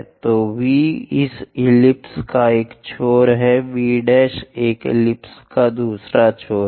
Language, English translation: Hindi, So, V is one end of this ellipse V prime is another end of an ellipse